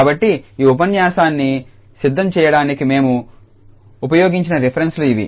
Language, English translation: Telugu, So, these are the references we have used for preparing this lecture